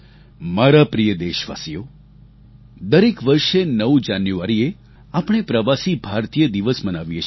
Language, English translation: Gujarati, My dear countrymen, we celebrate Pravasi Bharatiya Divas on January 9 th every year